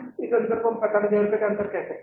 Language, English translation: Hindi, This difference of you can say 45,000 rupees